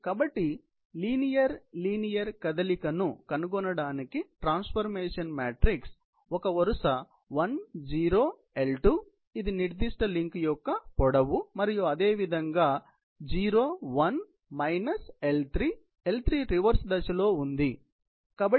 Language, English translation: Telugu, So, the transformation matrix for establishing the linear linear movement can be represented as 1, 0, L2, which is the length of this particular link and similarly, 0 1 minus L3; again L3 is in a reverse direction